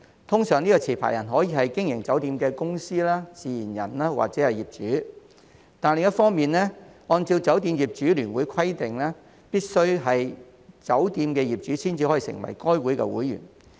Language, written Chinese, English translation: Cantonese, 持牌人通常可以是經營酒店的公司、自然人或者業主，但另一方面，按照酒店業主聯會規定，必須是酒店業主才能成為該會會員。, As a general rule the licence holder can be a company natural person or an owner that operates the hotel . But on the other hand according to the requirements of FHKHO only hotel owners may become its members